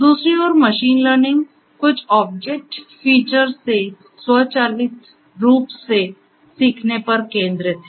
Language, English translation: Hindi, On the other hand, machine learning focuses on learning automatically from certain object features